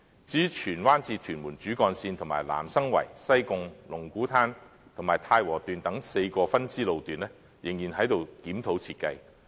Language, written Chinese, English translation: Cantonese, 至於荃灣至屯門主幹線及南生圍、西貢、龍鼓灘及太和段等4條分支路段，仍然在檢討設計的階段。, The designs of the Tsuen Wan to Tuen Mun backbone section and the four branching off sections namely the Nam Sang Wai Sai Kung Lung Kwu Tan and Tai Wo sections are still under review